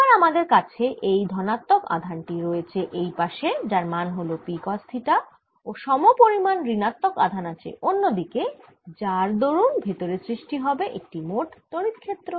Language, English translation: Bengali, so now i have this positive charge on this side, which is p cos theta, and corresponding negative charge on the other side, and this gives rise to a field inside this all net